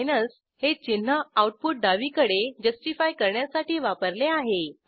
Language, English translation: Marathi, The minus sign is used to left justify the output